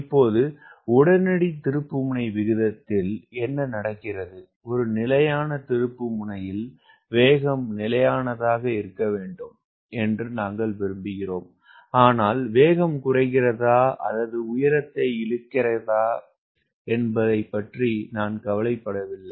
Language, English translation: Tamil, in instantaneous turn rate we are talking about, i am going like this, i am turning, but i am not bothered about whether the speed is reducing or whether it is losing the altitude